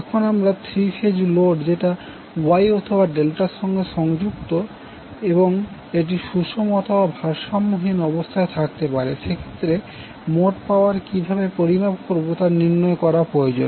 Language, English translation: Bengali, Now, we need to find out how we will calculate the total power in case of three phase load which may be connected as Y or Delta or it can be either balanced or unbalanced